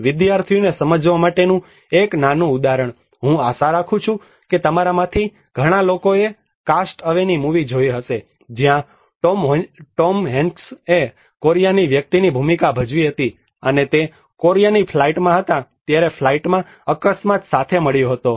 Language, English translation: Gujarati, A small example for the students to understand I hope many of you have seen the movie of Cast Away, where Tom Hanks played a role of a Korea person and he met with an accident in the flight while in the Korea flight